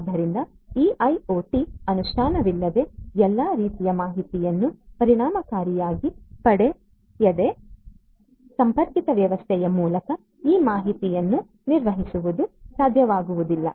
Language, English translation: Kannada, So, obviously, without this IoT implementation efficiently effectively getting all of these types of information managing these information over a connected system would not be possible